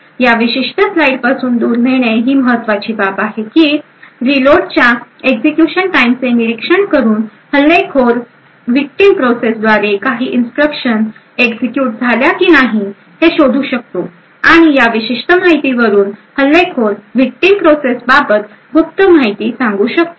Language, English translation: Marathi, Now the important take away from this particular slide is the fact that by monitoring the execution time of the reload, the attacker would be able to identify whether certain instructions were executed by the victim process or not, and from this particular information the attacker would then be able to infer secret information about that victim process